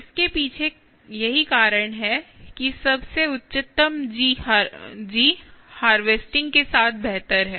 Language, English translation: Hindi, behind the highest, the g, the better with the harvesting